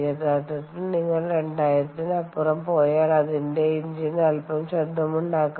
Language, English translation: Malayalam, ok, actually, even if you go beyond two thousand itself it its the engine becomes a little noisy, its its quite, ah